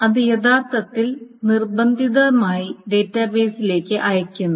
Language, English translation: Malayalam, It is being actually forced on the database